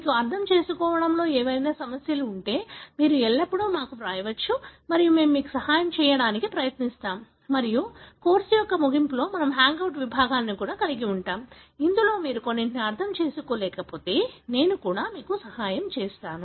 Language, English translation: Telugu, If you have any issues in understanding, you can always write to us and we will try to help you and of course, we are going to have hangout sections at the end of the course, wherein I could also, help you with some of the concepts, if you still are unable to understand some